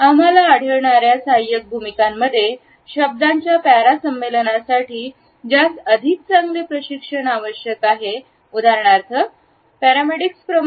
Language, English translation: Marathi, In the ancillary roles we find that the association of the word para required something which needs better training etcetera, for example, as in paramedics